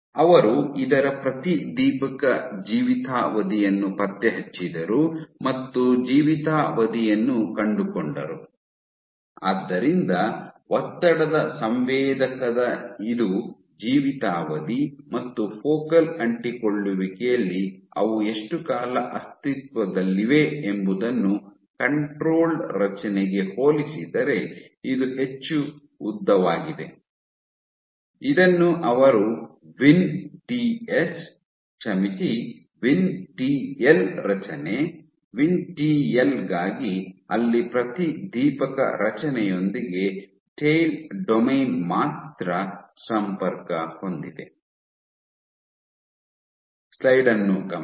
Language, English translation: Kannada, So, of the tension sensor, this is my lifetime how long they exist at focal adhesions this was much longer compared to a control construct, which they call as Vin TS sorry Vin TL contracts for VinTL where only at the tail domain connected with the fluorescent construct